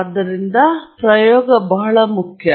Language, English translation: Kannada, So, therefore, an experiment is very important